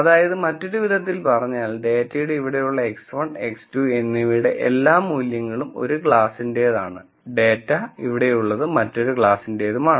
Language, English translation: Malayalam, So, in other words all values of x 1 and x 2 such that the data is here, belongs to one class and, such that the data is here belongs to another class